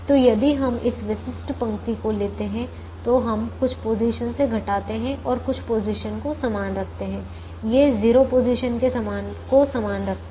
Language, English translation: Hindi, so if we take this typical row, then we would have subtracted from some positions and kept some positions the same, these zero positions the same